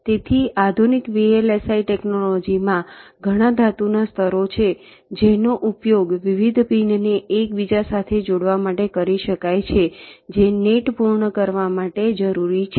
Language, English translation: Gujarati, so so in the modern day vlsi technology, there are several metal layers which can be used for interconnecting different pins which are required to complete the nets